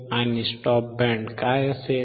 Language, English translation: Marathi, And what will be a stop band